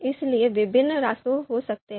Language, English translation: Hindi, So, there could be a number of sub steps